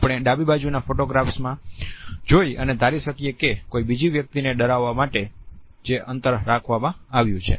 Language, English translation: Gujarati, We can make out in the left hand side photographs whether the space has been used to intimidate another person